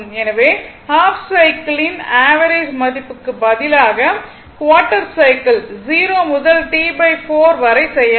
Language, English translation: Tamil, So, instead of half cycle average value you can make it quarter cycle also 0 to T by 4